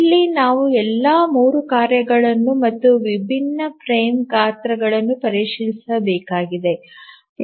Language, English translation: Kannada, So that we need to do for all the three tasks for the different frame sizes